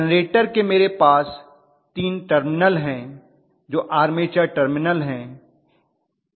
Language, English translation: Hindi, From the generator I have 3 terminals, which are the armature terminal